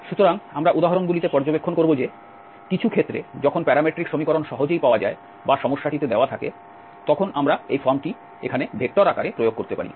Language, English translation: Bengali, So, what we will observe in the examples, in some cases when the parametric equation is easily available or given in the problem, then we can apply this form here, in the vector form